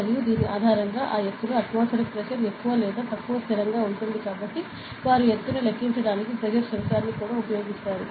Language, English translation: Telugu, And based this since the atmospheric pressure at that height will be more or less they constant, they even use a pressure sensor to calculate the altitude, ok